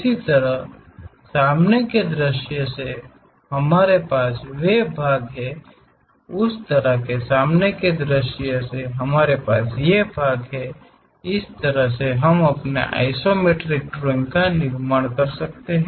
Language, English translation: Hindi, Similarly, from the front view we have those parts, from similarly front view we have these parts, in this way we can construct our isometric drawing